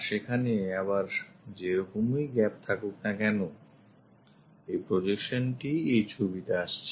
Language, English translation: Bengali, And this gap whatever we have there again, this projection really comes into picture